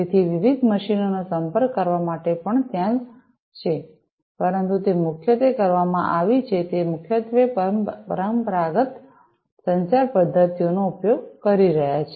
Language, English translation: Gujarati, So, communicating different machines have also been there, but those have been primarily, those have been primarily using the conventional communication mechanisms